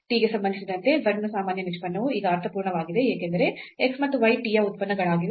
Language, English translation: Kannada, So, the ordinary derivative of z with respect to t which makes sense now because x and y are functions of t